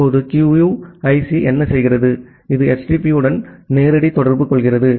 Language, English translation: Tamil, Now, what QUIC does, it makes a direct interaction with HTTP